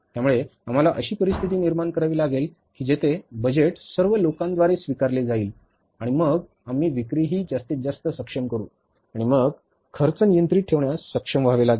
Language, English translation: Marathi, So, we will have to create the situation where the budget is acceptable by all the people and then we will be able to maximize the sales also and then we will have to will be able to keep the cost under control